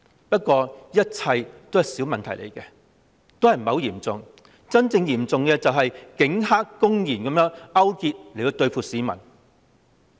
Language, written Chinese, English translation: Cantonese, 不過，這一切只是小問題，不算很嚴重，真正嚴重的是警黑公然勾結，對付市民。, However all of these are small problems not to be considered very serious . What is really serious is the brazen police - triad collusion against the people